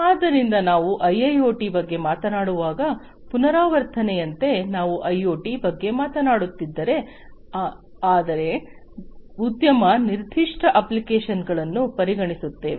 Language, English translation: Kannada, So, just as a recap when we are talking about IIoT, we are essentially if we are talking about the same thing IoT, but considering industry specific applications